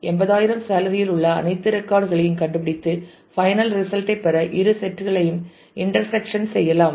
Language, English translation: Tamil, Index on salary to find all records that part in to 80000 salary and then take intersection of the both sets to get the final result